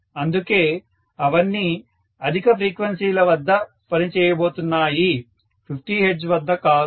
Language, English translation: Telugu, So, all of them are going to work at higher frequencies not at 50 hertz, right